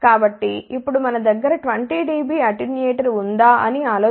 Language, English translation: Telugu, So, now think about if we have a 20 dB attenuator